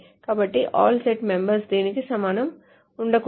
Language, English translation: Telugu, So all of the set members must not be equal to this